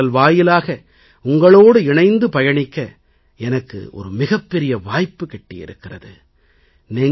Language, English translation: Tamil, 'Mann Ki Baat' gives me a great opportunity to be connected with you